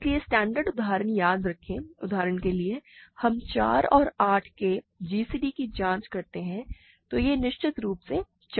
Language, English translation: Hindi, So, the standard examples remember are for example, we check gcd of 4 and 8 then of course, it is 4